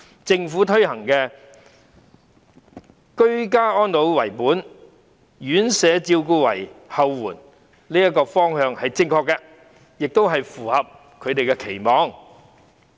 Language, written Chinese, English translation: Cantonese, 政府推行的"居家安老為本，院舍照顧為後援"政策方向是正確的，亦符合長者的期望。, The Governments policy objective of ageing in place as the core institutional care as back - up is correct and also meets the expectation of elderly persons